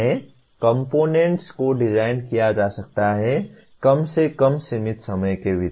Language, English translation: Hindi, Components can be designed, at least within the limited time